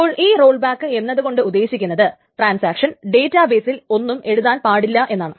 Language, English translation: Malayalam, Now what does this rollback means is that so the transaction must not write anything to the database